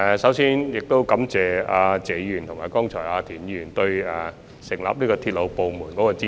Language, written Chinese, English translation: Cantonese, 首先，感謝謝議員和田議員剛才對成立鐵路部門的支持。, First I would like to thank Mr TSE and Mr TIEN for their support for the establishment of the railway department just now